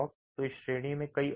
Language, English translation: Hindi, So there are many more in this category